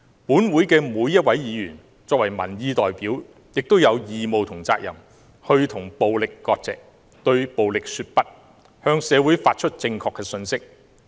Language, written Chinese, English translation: Cantonese, 本會的每一位議員作為民意代表，亦有義務和責任與暴力割席，對暴力說不，向社會發出正確信息。, Each and every one of us being a representative of the people in this Council has the obligation and responsibility to sever ties with violence and say no to violence and to send a correct message to society